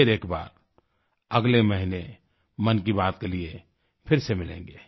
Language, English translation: Hindi, Once again next month we will meet again for another episode of 'Mann Ki Baat'